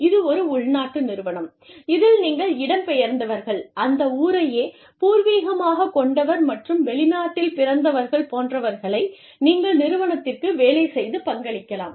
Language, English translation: Tamil, This is a domestic firm, in which, you could have immigrants, you could have, native, foreign born, and citizens, contributing to the, working of this firm